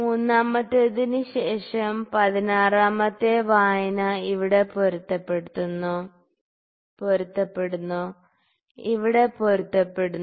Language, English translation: Malayalam, So, after third 16th reading is coinciding here is coinciding here